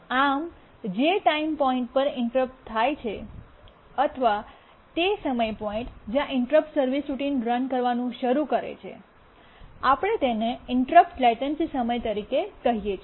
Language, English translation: Gujarati, So the point where the interrupt occurs, the time point at which the interrupt occurs to the time point where the interrupt service routine starts running, we call it as the interrupt latency time